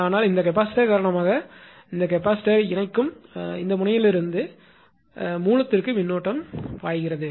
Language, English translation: Tamil, But because of this capacitor know this capacitor from the connecting node to the source the current flows